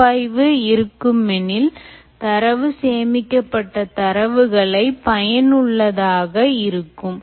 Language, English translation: Tamil, in any case, there will have to be analytic so that the data that is stored is made useful